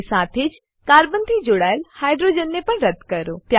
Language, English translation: Gujarati, And also, delete hydrogen attached to the carbon